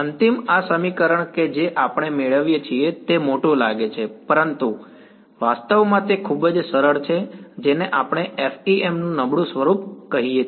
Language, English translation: Gujarati, Final this equation that we get it looks big, but it actually very easy we call this is the weak form of the FEM ok